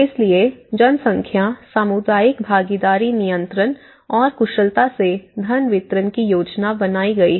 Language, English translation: Hindi, So, the population, the community participation controlling and efficiently planning the distribution of funds